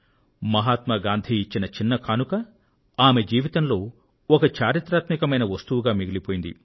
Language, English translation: Telugu, A small gift by Mahatma Gandhi, has become a part of her life and a part of history